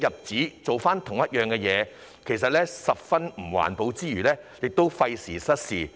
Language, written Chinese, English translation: Cantonese, 此舉其實十分不環保，亦費時失事。, This is not only very environmentally unfriendly but also a waste of time and ineffective